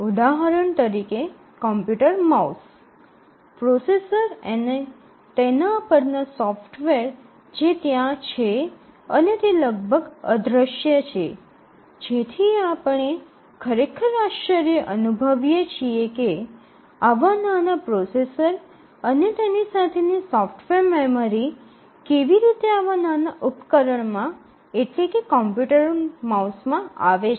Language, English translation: Gujarati, For example, a computer mouse, the processor and the software that is there it is almost invisible that we may have to really wonder that how come such a small processor and the accompanied software memory and so on is there in a small device like a computer mouse